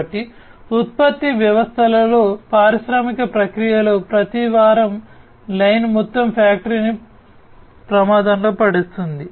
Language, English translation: Telugu, So, every week line in the production system, in the industrial process puts the whole factory at risk